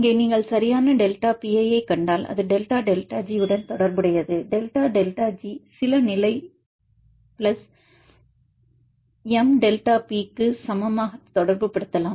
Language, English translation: Tamil, If you have the relationship for example, here if you see the proper delta P it is related with the delta delta G you can relate delta delta G equal to some constant plus m * delta P